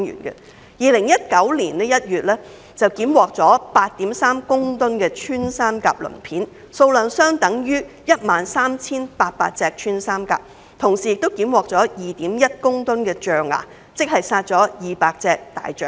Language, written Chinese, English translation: Cantonese, 2019年1月，當局檢獲 8.3 公噸穿山甲鱗片，數量相當於 13,800 隻穿山甲，同時亦檢獲 2.1 立方公噸象牙，相當於200隻大象。, In January 2019 the authorities seized 8.3 metric tonnes of pangolin scales equating to 13 800 pangolins along with 2.1 metric tonnes of ivory equating to 200 elephants